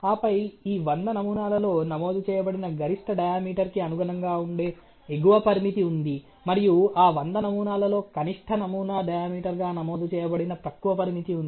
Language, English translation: Telugu, And then an upper limit which would correspond to the maximum diameter which is recorded in this 100 samples, and a lower limit which is recorded as a minimum sample diameter which is recorded on those 100 samples